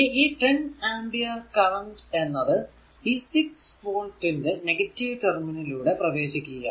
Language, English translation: Malayalam, So, 10 ampere current it is entering into this your, what you call this negative terminal of 6 volt